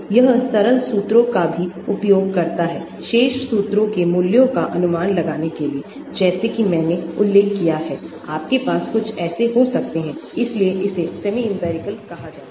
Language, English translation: Hindi, It also uses simple formulae to estimate the values of the remaining integrals like I mentioned, you can have some that is why it is called semi empirical